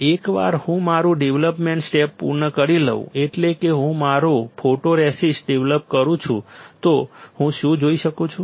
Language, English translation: Gujarati, Once I complete my development step that is I develop my photoresist what can I see